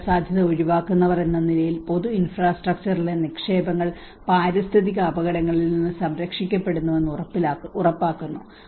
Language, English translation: Malayalam, As risk avoiders, ensuring investments in public infrastructure are protected in environmental hazards